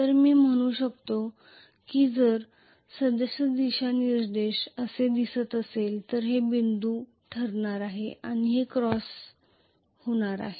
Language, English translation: Marathi, So I can say if the current direction is showing like this here this is going to be dot and this is going to be cross